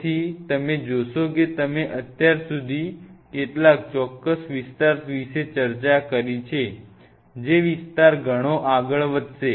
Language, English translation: Gujarati, So, you see as of now you have discussed about some of the specific areas this area may go a long way